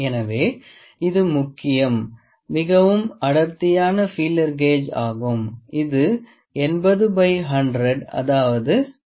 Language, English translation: Tamil, So, this is the most thick feeler gauge which is the of the order of 80 by 100 that is 0